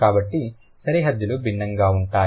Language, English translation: Telugu, So, the boundaries are going to be different